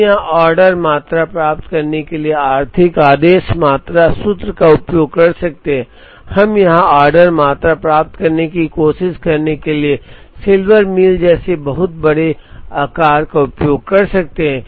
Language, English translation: Hindi, We could use the economic order quantity formula to get the order quantities here, we could use a lot sizing heuristic like Silver Meal to try and get the order quantities here